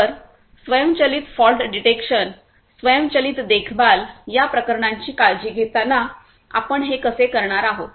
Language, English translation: Marathi, So, how we are going to do that while taking care of issues of automated fault detection, automated maintenance